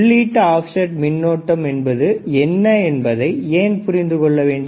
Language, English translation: Tamil, Why we need to understand input offset current